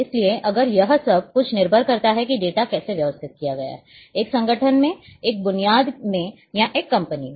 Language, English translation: Hindi, So, if it everything depends how data has been organized, in a organization in a set up or in a company